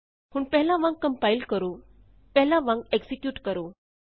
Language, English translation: Punjabi, Now compile as before, execute as before